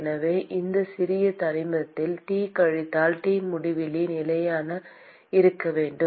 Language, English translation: Tamil, And therefore, the T minus T infinity in this small element must remain constant